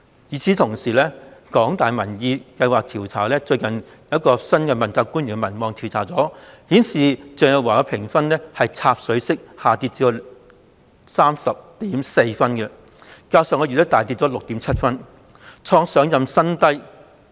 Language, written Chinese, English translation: Cantonese, 與此同時，香港大學民意研究計劃最近一項關於新任問責官員的民望調查顯示，鄭若驊的評分已"插水式"下跌至 30.4 分，較上月下跌 6.7 分，創上任後的新低。, At the same time a recent survey on the popularity of new accountability officials conducted by the Public Opinion Programme of the University of Hong Kong shows that Teresa CHENGs rating has nosedived to 30.4 points a drop of 6.7 points over her rating last month and also a record low ever since her assumption of office